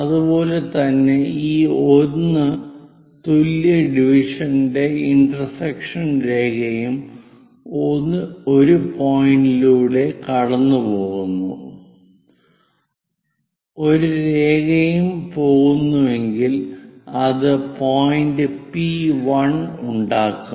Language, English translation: Malayalam, Similarly, if we are going the intersection line of this 1 equal division and a line which is passing through 1 point that is also going to make a point P1